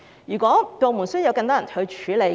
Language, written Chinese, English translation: Cantonese, 如果部門需要更多人手，便增聘人手。, If the Government needs more manpower it should recruit more staff